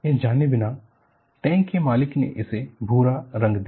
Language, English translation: Hindi, Without knowing that, the owner of the tank painted it brown